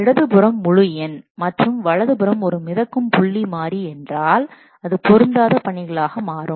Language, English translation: Tamil, If the left hand side is what integer and right hand side is a floating point variable, then this becomes incompatible assignments